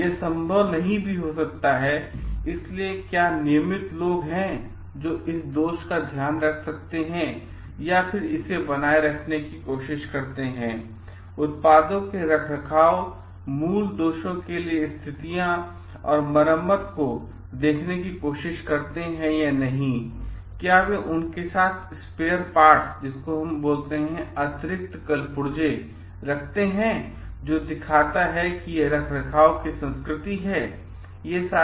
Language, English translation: Hindi, May be it is not possible, so, whether there are regular people who can take care of this faults and then try to maintain it, try to see the products of maintenance, original conditions and repair for the faults, do they carries spare parts with them which shows like the maintenance culture is there